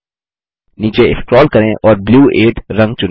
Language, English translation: Hindi, Lets scroll down and select the color Blue 8